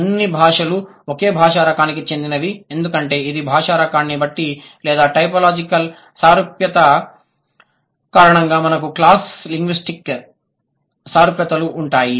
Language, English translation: Telugu, All languages belong to the same language type because it depends on the language type or because of the typological similarity, we have the cross linguistic similarities, right